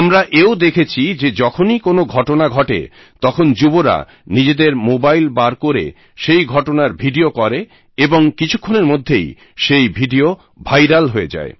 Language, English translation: Bengali, And we have noticed; if such an incident takes place, the youth present around make a video of it on their mobile phones, which goes viral within no time